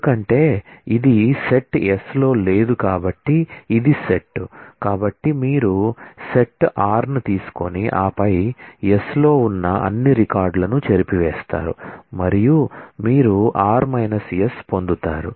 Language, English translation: Telugu, Because, this is this does not exist in the set s so it is the set, so you take the set r and then erase all the records like this which exist in s and you get r minus s